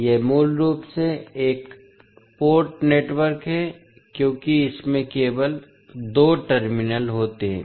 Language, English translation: Hindi, So, this is basically a one port network because it is having only two terminals